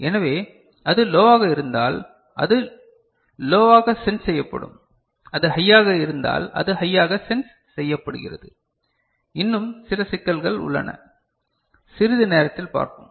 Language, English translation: Tamil, So, if it is low then it is sensed as low, if it is high it is sensed as high, there are some more issues we shall shortly discuss